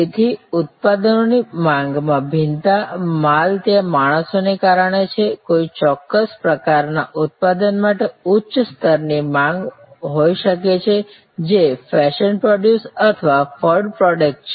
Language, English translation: Gujarati, So, demand variation in products, goods are there due to seasonality, there may be a higher level of demand for a particular type of product, which is a fashion product or a fad product